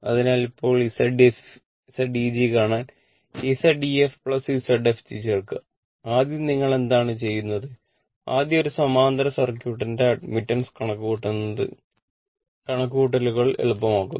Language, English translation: Malayalam, So, Z eg now you add Z ef plus Z fg first what you do, first we compute the admittance of a parallely parallel circuit is easy for calculation